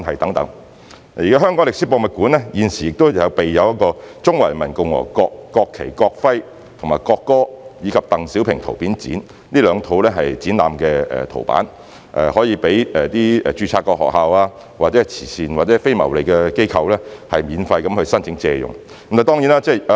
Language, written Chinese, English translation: Cantonese, 此外，香港歷史博物館現時有"中華人民共和國國旗、國徽、國歌展"及"鄧小平圖片展"這兩套展覽圖板，可供註冊學校或慈善或非牟利機構免費申請借用。, In addition two sets of exhibition panels namely The National Flag Emblem and Anthem of the Peoples Republic of China and Photo Exhibition on the Life of Deng Xiaoping are now available in the Hong Kong Museum of History for free loan to registered schools and charitable or non - profit - making organizations